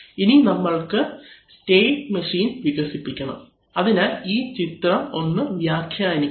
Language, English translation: Malayalam, Now we develop a state machine, so let us try to interpret this diagram